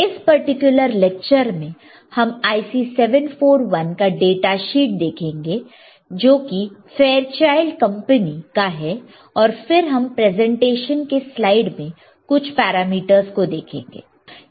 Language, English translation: Hindi, So, for this particular lecture we will be we will be looking at the data sheet of IC 741, which is from Fairchild and then we will see some of the parameters in the presentation slide alright